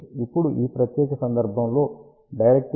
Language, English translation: Telugu, Now, for this particular case directivity is equal to 1